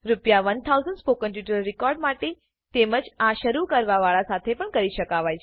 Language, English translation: Gujarati, 1,000 for recording the spoken tutorial this can be done by the beginner as well Rs